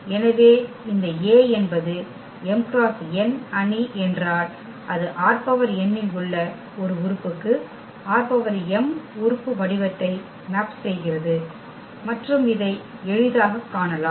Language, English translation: Tamil, So, if this A is m cross n matrix then it maps element form R n to one element in R m and this one can see easily